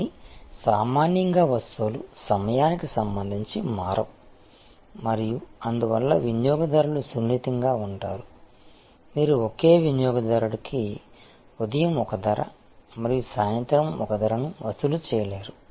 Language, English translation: Telugu, But, normally goods do not vary with respect to time and therefore, customers are sensitive, you cannot charge the same customer one price in the morning and one price in the evening